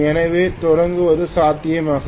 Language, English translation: Tamil, So starting will be possible